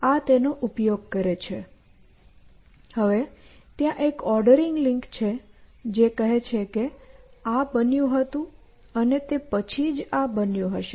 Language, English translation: Gujarati, And there is an ordering link which says that this was happened and sometime only later this must have happened